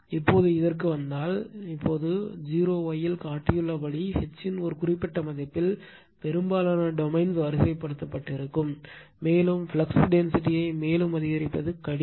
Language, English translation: Tamil, Now, if you come to this, now at a particular value of H as shown in o y, most of the domains will be you are aligned, and it becomes difficult to increase the flux density any further